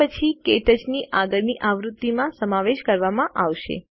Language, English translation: Gujarati, It will then be included in the next version of KTouch